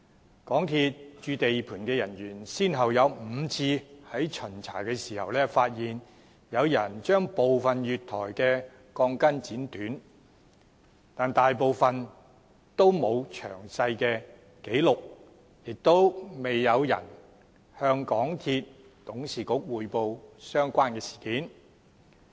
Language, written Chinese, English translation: Cantonese, 香港鐵路有限公司駐地盤的人員先後有5次在巡查時發現，有人將部分月台的鋼筋剪短，但大部分都沒有作詳細記錄，亦未有人向港鐵公司董事局匯報相關的事件。, Some staff members of the MTR Corporation Limited MTRCL stationed at the site had on five occasions during their inspections detected that some of the steel bars at the platforms had been cut short but most of these findings had not been recorded in detail and no one had reported the matter to the Board of Directors of MTRCL